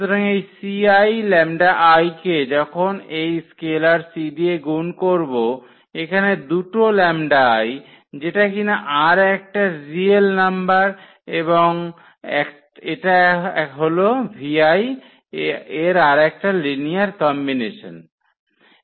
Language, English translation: Bengali, So, this c lambda i when we have multiplied this scalar c here two lambda i that is another real number and this is another linear combination of v i